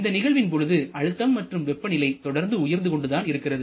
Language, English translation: Tamil, For this entire duration both pressure and temperature keeps on increasing